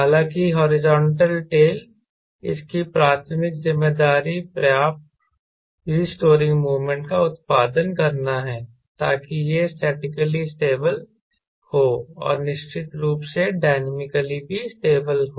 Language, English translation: Hindi, however, the horizontal tail, its primary responsibility is to produce enough restoring moment so that it is statically stable and of course dynamically also stable